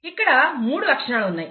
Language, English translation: Telugu, There is three characters here